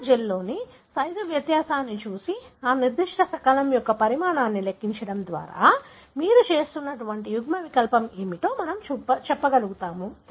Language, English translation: Telugu, By looking at the size difference in a gel and calculating what is the size of that particular fragment, we will be able to tell what is the allele that you are looking at